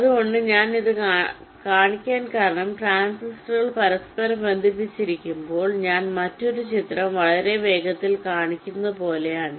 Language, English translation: Malayalam, ok, so the reason i am showing this is that when the transistors are interconnected like i am showing another picture very quickly